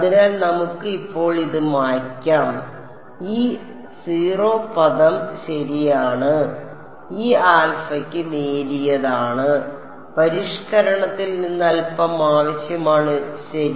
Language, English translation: Malayalam, So, let us erase this one now this 0 term is correct this alpha U 1 is slight needs a little bit from modification ok